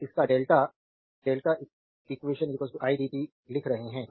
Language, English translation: Hindi, So, here we are writing delta eq is equal to i into dt right